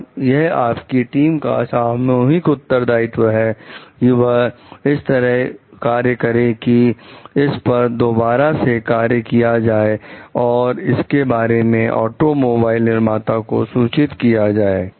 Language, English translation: Hindi, And it is a part of your joint responsibility of the team to work like to rework on it and report the thing to the automobile manufacturer